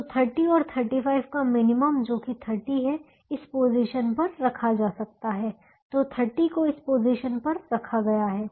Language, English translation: Hindi, so minimum of thirty and thirty five, which is thirty, can be put in this position